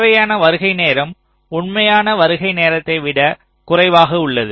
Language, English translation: Tamil, so the required arrival time is less than the actual arrival time